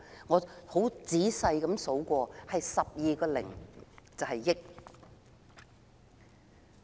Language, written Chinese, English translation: Cantonese, 我很仔細地數過 ，8 個零就是"億"。, After making a careful count my answer is that there are eight zeros in one hundred million